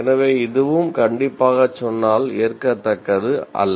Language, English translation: Tamil, So, this also strictly speaking, not acceptable